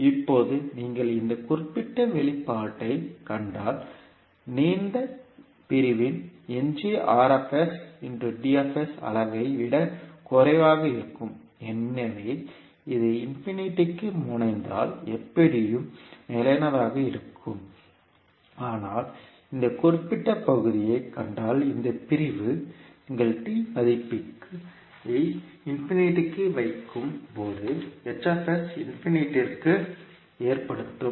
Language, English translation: Tamil, Now if you see this particular expression where degree of r is less than degree of d so this will anyway be stable when t tends to infinity but if you see this particular segment the this segment will cause the h s tends to infinity when you put value of s tends to infinity